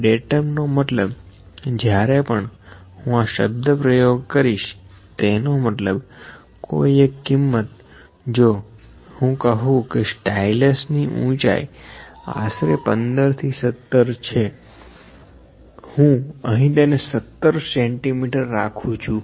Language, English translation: Gujarati, Datum means which when I use the word Datum, it means the single value if, I say height of the stylus the height of the stylus is about 15 to 17, I will put it a 17 centimetres this is 17 centimetres